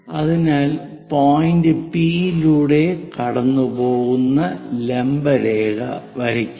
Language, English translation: Malayalam, So, use vertical line all the way passing through point P, this is the point P